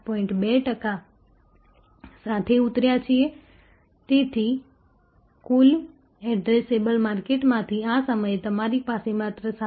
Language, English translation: Gujarati, 2 percent, so of the total addressable market, at this point of time you have only 7